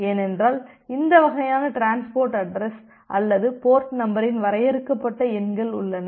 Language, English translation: Tamil, Because we have a finite number of this kind of transport addresses or port number because we have this finite number of ports